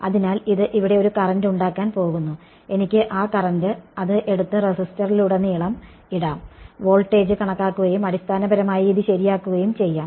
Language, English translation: Malayalam, So, this is going to induce a current over here and that current I can take it and drop it across the resistor calculate the voltage and basically get this thing right